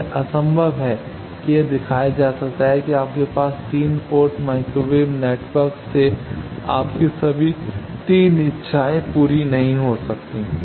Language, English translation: Hindi, It is impossible it can be shown that you cannot have all your 3 wishes from a 3 port microwave network